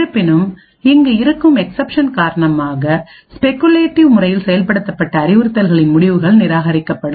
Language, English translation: Tamil, However, due to the exception that is present over here the results of the speculatively executed instructions would be discarded